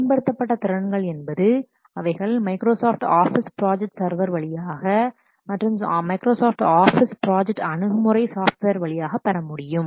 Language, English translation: Tamil, The advanced capabilities they are supported through what Microsoft Office project server as well as Microsoft Office project web access software